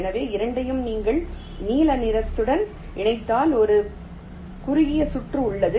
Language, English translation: Tamil, so both, if you connect by blue, there is a short circuit